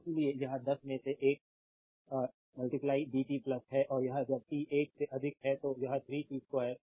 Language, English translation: Hindi, So, that is why it is one into dt plus in between the and when t greater than one it is 3 t square a